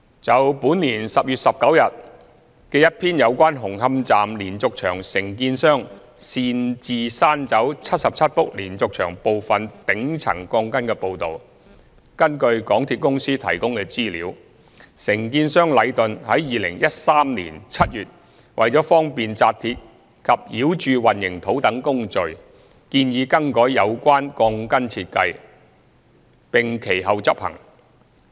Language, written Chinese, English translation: Cantonese, 就本年10月19日一篇有關紅磡站連續牆承建商擅自刪走77幅連續牆部分頂層鋼筋的報道，根據港鐵公司提供的資料，承建商禮頓於2013年7月為了方便扎鐵及澆注混凝土等工序，建議更改有關鋼筋設計，並其後執行。, In respect of a news report on 19 October about the unauthorized removal of part of the reinforcement at the top part of 77 diaphragm walls by the contractor of the diaphragm walls of Hung Hom Station according to the information provided by MTRCL Leighton the contractor suggested in July 2013 an alteration in the relevant reinforcement design to facilitate such works processes as steel reinforcement fixing and concreting . The altered design was subsequently implemented